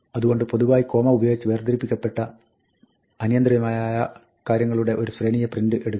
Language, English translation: Malayalam, So, print takes, in general, a sequence of things of arbitrary links, separated by commas